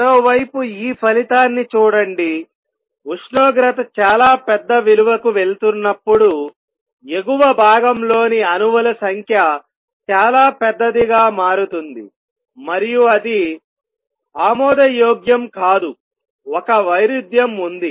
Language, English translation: Telugu, On the other hand, look at this result as temperature goes to very large value the number of atoms in the upper state become very very large and that is not acceptable there is a contradiction